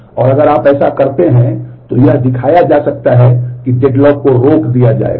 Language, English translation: Hindi, And if you can do that then it can be shown that the deadlock will get prevented